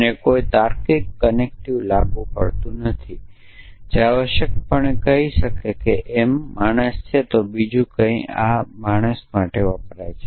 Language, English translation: Gujarati, There is no logical connective applied here essentially we could say for example, m stands for man and n something else R stands for mortal